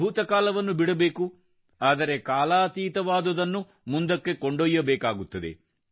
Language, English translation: Kannada, That which has perished has to be left behind, but that which is timeless has to be carried forward